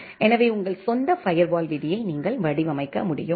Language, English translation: Tamil, So, you can design your own firewall rule like that